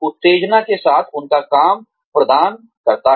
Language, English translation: Hindi, With the stimulation their work provides